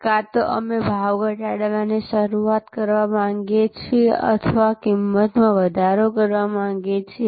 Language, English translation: Gujarati, Either, we want to initiate price cut or we want to initiate price increase